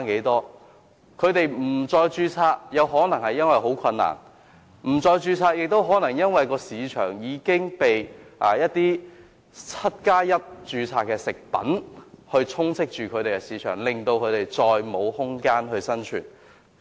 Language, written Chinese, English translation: Cantonese, 中成藥不註冊，可能因為註冊十分困難，也可能因為市場充斥着 "1+7" 營養資料標籤食品，令它們再沒有生存空間。, On the registration of propriety Chinese medicines manufacturers may have chosen not to register them because the procedures involved are very difficult or because there is hardly any room for survival in a market flooded with food products with 17 nutrition labels